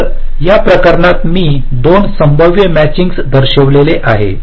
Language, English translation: Marathi, so in this case i have showed two possible matchings